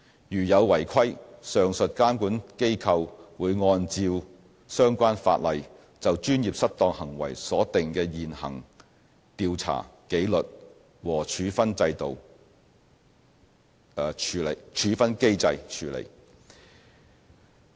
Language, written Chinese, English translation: Cantonese, 如有違規情況，上述監管機構會按照相關法例就專業失當行為所定的現行調查、紀律和處分機制處理。, Non - compliance with the requirements will be handled by the aforesaid regulatory bodies in accordance with the prevailing investigation and disciplinary mechanisms under the relevant laws governing professional misconduct